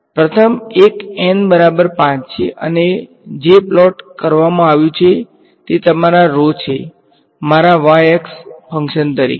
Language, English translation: Gujarati, So, the first one is N is equal to 5 and what is being plotted is your rho as a function of this is my y axis